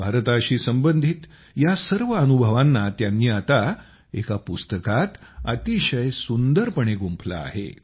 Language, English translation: Marathi, Now he has put together all these experiences related to India very beautifully in a book